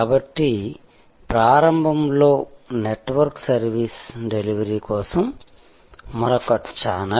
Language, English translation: Telugu, So, initially the network was another channel for delivery of service